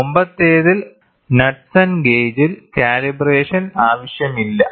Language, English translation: Malayalam, And in the previous one Knudsen gauge there is no calibration required at all